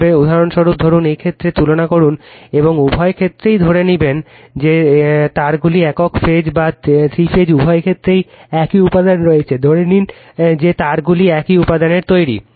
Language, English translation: Bengali, For example, suppose we will compare this cases and assume in both that the wires are in the same material in both the cases single phase or three phase, we assume that wires are of made same material right